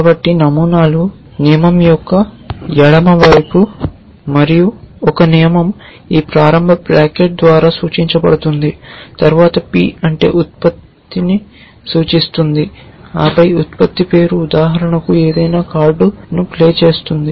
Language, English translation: Telugu, So, the patterns are the left hand side of the rule and a rule is signified by this opening bracket followed by p which stands for production, and then the production name for example play any card